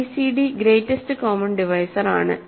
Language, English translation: Malayalam, gcd is just greatest common divisor